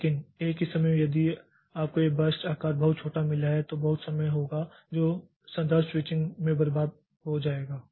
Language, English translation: Hindi, But at the same time if you have got this burst sizes very small then there will be a lot of time that will be wasted in the context switching